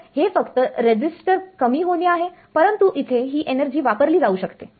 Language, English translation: Marathi, So, it's only a resistor drop, but here this energy can be exploited